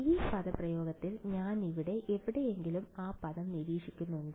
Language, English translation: Malayalam, Do I observe that term anywhere over here in this expression